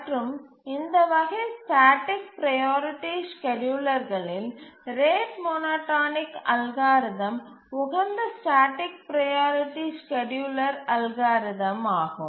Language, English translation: Tamil, And in this class of schedulers, the static priority schedulers, the rate monotonic algorithm is the optimal static priority scheduling algorithm